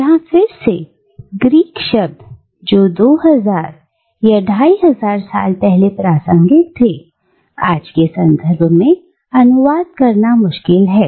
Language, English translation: Hindi, Now, here again, these Greek words, which were relevant 2000, 2500 years ago, are difficult to translate in today's context